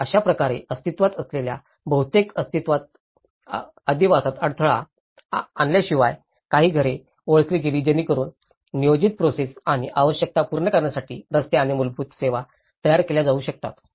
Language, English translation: Marathi, So, in that way, within the existence without disturbing much of the habitat, so a few households have been recognized so that roads and basic services could be laid out in order to meet for the planned process and the requirements